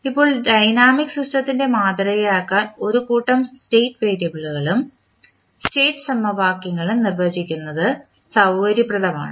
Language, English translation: Malayalam, Now, it is convenient to define a set of state variable and set equations to model the dynamic system